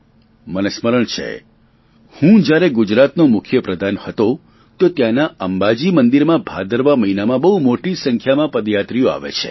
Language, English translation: Gujarati, I remember, when I was the Chief Minister of Gujarat the temple of Ambaji there is visited in the month of Bhadrapad by lakhs of devotees travelling by foot